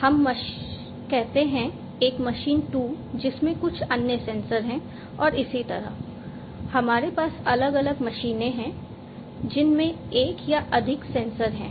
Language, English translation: Hindi, So, we have a machine 1 which has some sensor let us say, a machine 2 which has some other sensor and likewise we have different machines which have one or more sensors